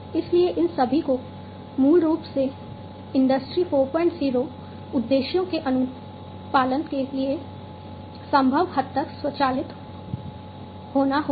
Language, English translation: Hindi, So, all of these, basically will have to be automated to the extent possible in order to comply with the Industry 4